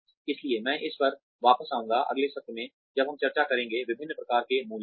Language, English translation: Hindi, So, I will come back to it, in the next session, when we discuss, different types of appraisals